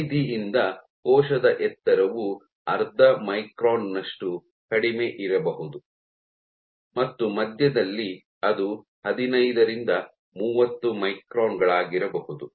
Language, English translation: Kannada, From the periphery the height of the cell might be as low as half micron and to the centre it might be 15 to 30 microns